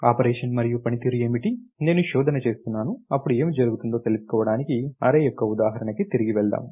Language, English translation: Telugu, What is the operation and performing, I am performing search, then when what happens, if I am let us go backs to example of an array